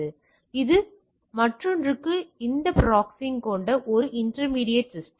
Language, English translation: Tamil, So, it is a intermediate system with this proxying for the other